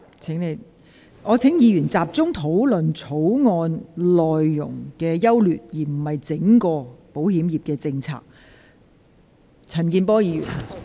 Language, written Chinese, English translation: Cantonese, 議員應集中討論《條例草案》的優劣，而非論述整體的保險業政策。, Members should focus on discussing the merits of the Bill instead of the overall policies of the insurance industry